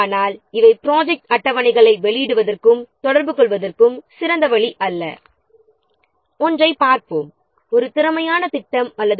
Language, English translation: Tamil, But these are not the best way of publishing and communicating the project schedules